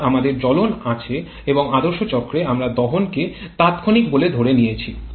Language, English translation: Bengali, So, we have combustion and in actual or sorry in idea cycle we assume combustion to be instantaneous